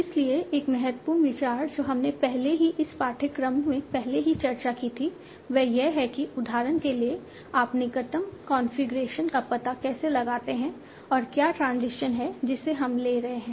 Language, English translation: Hindi, So one important idea that we had already discussed earlier in this course is that, for example, how do you find out the closest configuration and what is the transition that they are taking